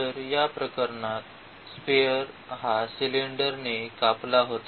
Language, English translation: Marathi, So, in this case the sphere was cut by the cylinder